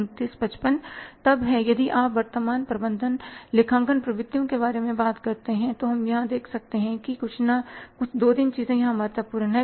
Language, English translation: Hindi, Then is the if you talk about the current management accounting trends then we can see here that some two three things are important here